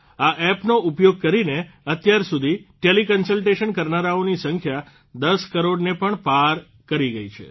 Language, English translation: Gujarati, Till now, the number of teleconsultants using this app has crossed the figure of 10 crores